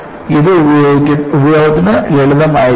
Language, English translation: Malayalam, And so, it should be simple enough to practice